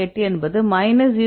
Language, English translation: Tamil, 68 minus 0